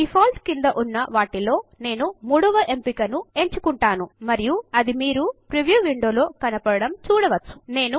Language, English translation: Telugu, I will choose the third option under Default and you can see that it is reflected in the preview window